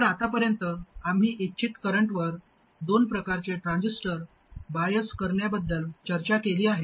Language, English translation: Marathi, So far we have discussed two types of biasing a transistor at a desired current